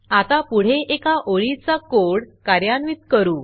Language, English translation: Marathi, Let us now proceed and execute this single line of code